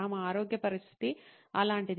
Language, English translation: Telugu, Such was her health condition